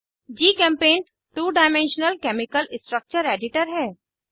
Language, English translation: Hindi, GChemPaint is a two dimensional chemical structure editor